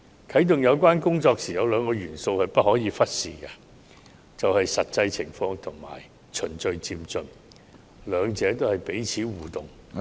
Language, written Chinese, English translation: Cantonese, 啟動有關工作時，有兩個元素是不可忽視的，就是"實際情況"和"循序漸進"，兩者是彼此互動......, However in the reactivation of constitutional reform there are two elements that must not be overlooked ie . the actual situation and gradual and orderly progress . The two of them are interrelated